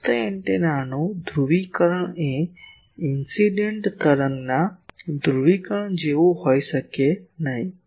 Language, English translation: Gujarati, The polarisation of the receiving antenna may not be the same as the polarisation of the incident wave